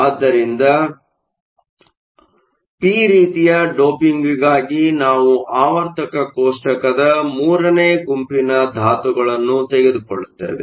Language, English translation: Kannada, We look at p type doping; the silicon atom is located in group four of the periodic table